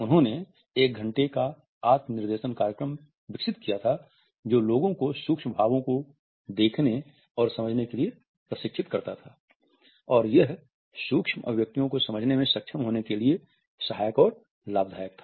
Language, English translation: Hindi, He had developed an one hour self instructional program that trains people to observe and understand micro expressions; whereas it is helpful and beneficial to be able to understand micro expressions